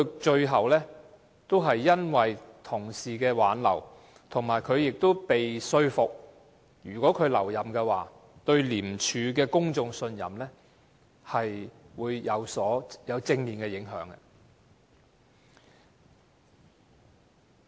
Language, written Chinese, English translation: Cantonese, 最後，他因為同事的挽留而留任，而且他也被說服，如果他留任，對廉署的公眾信任會有正面的影響。, Finally he stayed due to his colleagues persuasion and he was also convinced that if he stayed there would be positive influence to the public confidence in ICAC